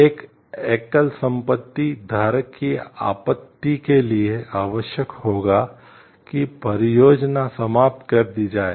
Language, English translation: Hindi, A single property holder’s objection would require that the project be terminated